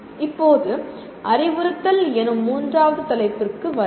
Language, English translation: Tamil, Now come to the third topic namely “instruction”